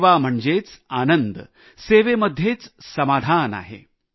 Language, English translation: Marathi, service is a satisfaction in itself